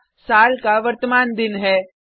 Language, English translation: Hindi, The First is the present day of the year